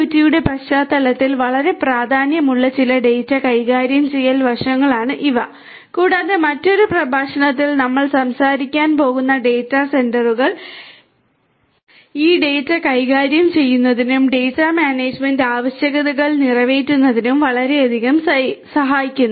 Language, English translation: Malayalam, These are some of the data handling aspects that are very important in the context of IIoT and data centres which we are going to talk about in another lecture is going to help a lot in catering to these data handling and data management requirements that are there in the context of IIoT